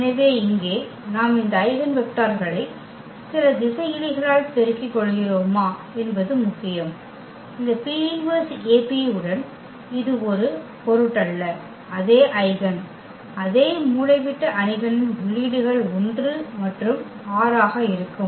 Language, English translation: Tamil, So, here it is material that whether we multiply here to these eigenvectors by some scalars; it does not matter with this P inverse AP will lead to the same eigen, same diagonal matrix whose entries will be 1 and 6